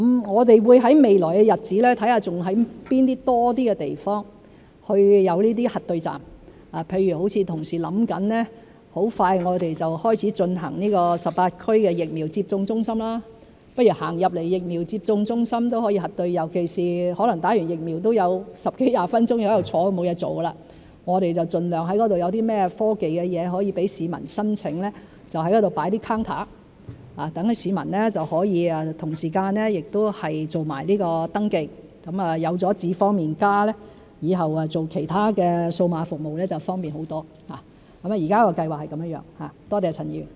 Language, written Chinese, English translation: Cantonese, 我們會在未來的日子探討在多些地方有這些核對站，譬如同事正構思在很快就開始啟用於18區的疫苗接種中心，市民走進疫苗接種中心都可以核對身份，尤其是可能在接種疫苗後會有十多二十分鐘坐着沒其他事做，我們盡量在那裏採用一些科技，讓市民申請，在那裏放一些櫃台，讓市民可以同時間做登記，有了"智方便＋"以後用其他數碼服務就會方便很多，現時的計劃是這樣，多謝陳議員。, For example our colleagues are thinking about facilitating identity verification for members of the public visiting the vaccination centres which will be commissioned in the 18 districts shortly particularly since people may have 10 to 20 minutes spare time having nothing to do there after receiving the vaccination . We will try to use some technologies to facilitate the public to make applications by setting up some counters there so that people may make the registration concurrently . With iAM Smart it will be much more convenient to use other digital services afterwards